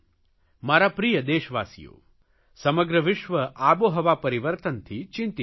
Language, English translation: Gujarati, My dear countryman, the entire world is worried about climate change